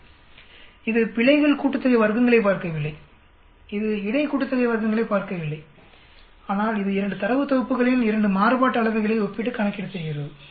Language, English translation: Tamil, It does not look at the errors sum of squares, it does not look at between sum of squares but it just comparing 2 variances of 2 data sets and doing the calculation